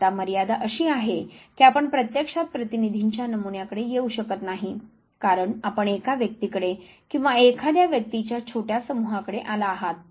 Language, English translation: Marathi, The limitation is that you may not actually come across representative sample, because you have come across one individual or a small set of individuals